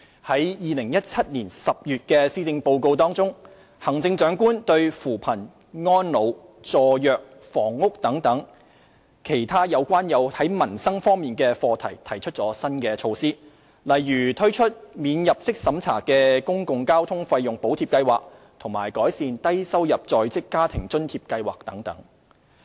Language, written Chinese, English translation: Cantonese, 在2017年10月的施政報告中，行政長官就扶貧、安老、助弱、房屋等其他有關民生方面的課題提出新措施，例如推出"免入息審查的公共交通費用補貼計劃"及改善"低收入在職家庭津貼計劃"等。, In the Policy Address presented in October 2017 the Chief Executive has proposed new measures on other livelihood - related areas including poverty alleviation elderly care support for the disadvantaged and housing . These measures include the introduction of a non - means - tested Public Transport Fare Subsidy Scheme and enhancement of the Low - income Working Family Allowance Scheme and so on